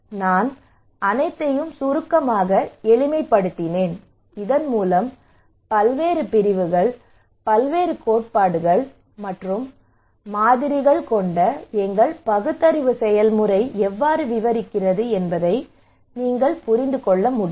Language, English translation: Tamil, I just simplified all of them in a concise manner so that you can get an idea how this our reasoning process in brain various disciplines, various theories and models describe